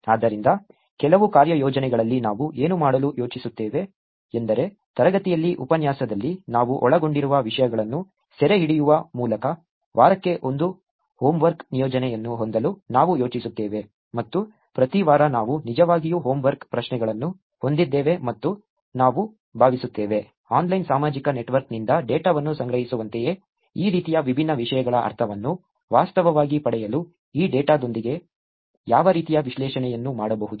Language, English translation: Kannada, So, what we plan to do in some of assignments is, we plan to have one homework assignment per week capturing the topics that we have covered in the class, in the lecture and we will actually have homework questions around that every week and we hope to actually get you a sense of these kind of different topics same as collecting data from online social network, what kind of analysis can be done with this data